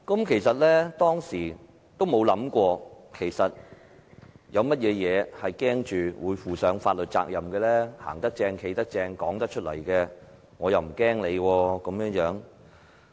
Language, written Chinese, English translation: Cantonese, 其實，當時我並沒有想過有甚麼事會令我負上法律責任，我"行得正，企得正"，說出口的話，有甚麼好怕？, In fact at those occasions I could not think of anything that would render me liable legally . As I am law - abiding and upright what kind of problems my words will bring me?